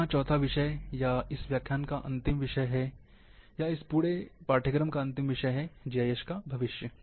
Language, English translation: Hindi, Now the fourth topic here, or the last of this lecture, or last of this entire course, is the future of GIS